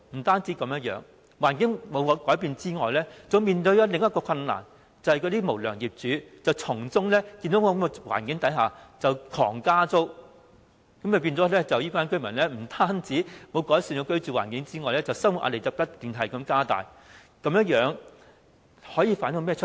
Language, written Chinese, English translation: Cantonese, 他們居住環境沒有改變之餘，更要面對另一個困難，就是那些無良業主眼見這種環境，更是瘋狂加租，以致這些居民的居住環境不單沒有改善，更要面對更大的生活壓力。, Their living environment has not been improved; worse still they have to face another predicament that is the unscrupulous landlords have taken advantage of the situation to increase rents drastically . Hence the residents not only cannot improve their living environment but also have to face greater pressure in life